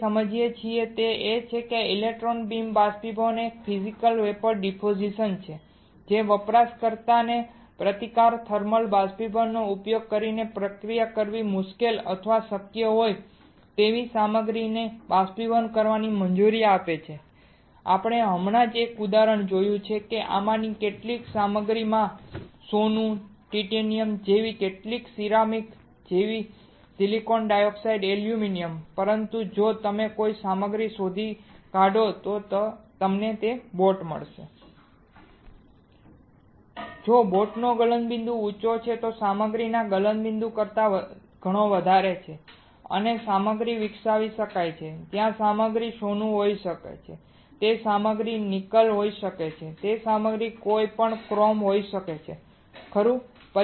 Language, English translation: Gujarati, What we understood is that a electron beam evaporation is a Physical Vapor Deposition that allows the user to evaporate materials that are difficult or impossible to process using resistive thermal evaporation, we have just seen an example some of these materials include material such as gold, titanium right some ceramics like silicon dioxide alumina, but if you generate if you find a material you find a boat which has a higher melting point of a boat is way higher than melting point of material and material can be grown, there material can be gold, that material can be nickel, that material can be any chrome right